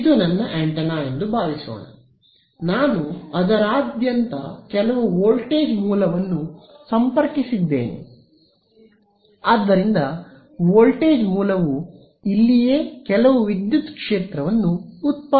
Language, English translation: Kannada, Supposing this is my antenna ok, I have connected some voltage source across it, so this voltage source is going to produce some electric field inside over here right